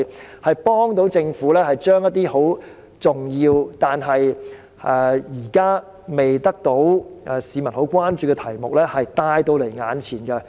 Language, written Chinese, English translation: Cantonese, 這些節目有助政府將一些十分重要，但現時未得到市民十分關注的題目帶到眼前。, These programmes will facilitate the Government in bringing to the forefront topics of great significance which have not yet caught the attention of the public